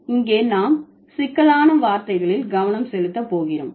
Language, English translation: Tamil, Here we are going to focus on the complex words, right